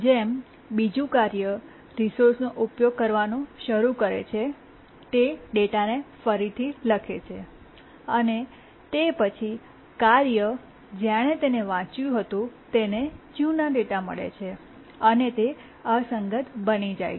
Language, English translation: Gujarati, Then another task which started using the resource overwrote the data and then the task that had read it has got the old data